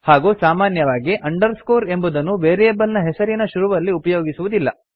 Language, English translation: Kannada, But generally underscore is not used to start a variable name